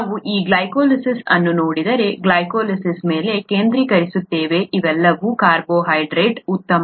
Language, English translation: Kannada, If we look at this glycolysis, focus on glycolysis, all these are carbohydrates, fine